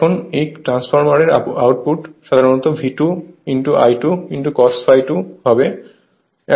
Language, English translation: Bengali, Now, output of the transformer, so it is generally V 2 I 2 cos phi 2 right